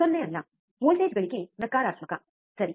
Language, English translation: Kannada, Not 0, voltage gain voltage gain is negative, right